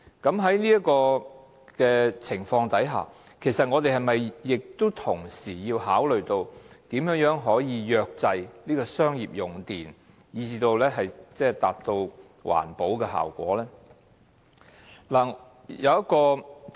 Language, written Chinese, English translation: Cantonese, 在這情況下，我們是否同時要考慮如何約制商業用戶的用電量以達到環保效果？, As such should we also consider how to lower the commercial users electricity consumption in order to protect the environment?